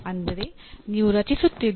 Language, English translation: Kannada, That means you are creating